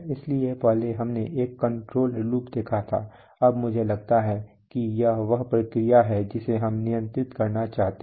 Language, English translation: Hindi, So previously we had seen one control loop, now I find this is the process that we want to control